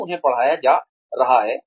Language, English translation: Hindi, When they are being taught